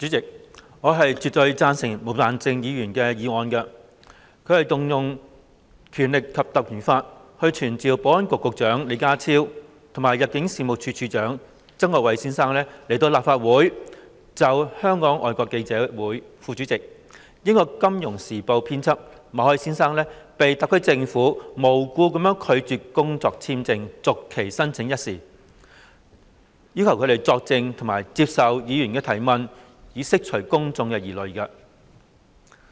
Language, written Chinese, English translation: Cantonese, 主席，我絕對贊成毛孟靜議員的議案，引用《立法會條例》傳召保安局局長李家超及入境事務處處長曾國衞到立法會席前，就香港外國記者會副主席、英國《金融時報》編輯馬凱先生被特區政府無故拒絕工作簽證續期申請一事作證，並接受議員提問，以釋公眾疑慮。, President I definitely support Ms Claudia MOs motion to invoke the Legislative Council Ordinance to summon the Secretary for Security Mr John LEE and the Director of Immigration Mr Erick TSANG to attend before the Council to give evidence in relation to the incident of the Hong Kong Special Administrative Region HKSAR Governments refusal to renew for no reason the work visa of Mr Victor MALLET news editor of the Financial Times; and to answer Members questions in order to allay public concerns